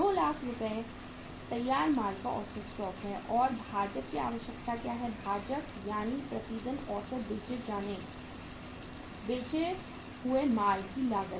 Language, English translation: Hindi, That is for 2 lakh rupees the average stock of finished goods that is 2 lakh rupees and what is the denominator requirement of the denominator that is the average cost of goods sold per day